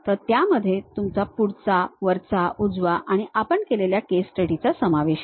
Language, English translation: Marathi, So, which contains your front, top, right and whatever the case study we have done